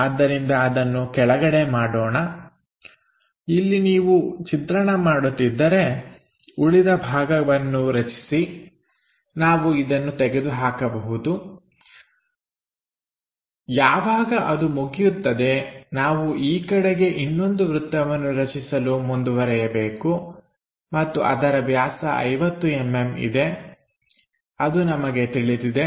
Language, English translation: Kannada, So, here if we are making construct that the remaining portion we can just eliminate this, once that is done we have to move in that direction to construct one more circle and that is diameter 50 mm we have it